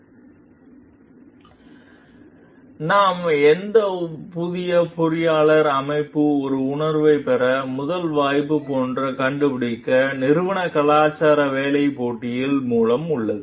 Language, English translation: Tamil, And then we find like for a, the first chance for any new engineer to get an impression of the organization of an organizational culture is through the job interview